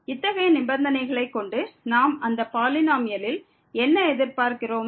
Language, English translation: Tamil, So, having these conditions what do we expect from such a polynomial